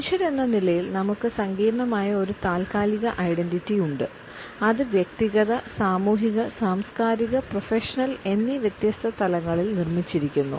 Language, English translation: Malayalam, As human beings we have a complex temporal identity, which is constructed at different levels at personal as well as social, cultural and professional levels